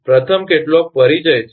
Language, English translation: Gujarati, First is some introduction